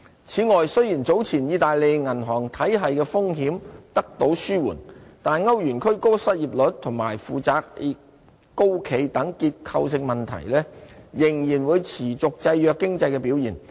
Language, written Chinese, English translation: Cantonese, 此外，雖然早前意大利銀行體系的風險得到紓緩，但歐元區高失業率及負債高企等結構性問題，仍然會持續制約經濟表現。, Moreover the risks in the Italian banking system have been allayed earlier but structural problems like high unemployment rates and heavy debts will go on affecting economic performance in the eurozone